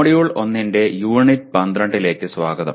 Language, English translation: Malayalam, Greetings and welcome to the Unit 12 of Module 1